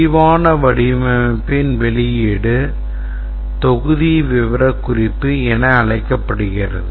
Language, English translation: Tamil, The outcome of the detailed design is called as a module specification